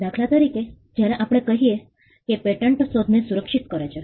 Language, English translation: Gujarati, For instance, when we say patents protect inventions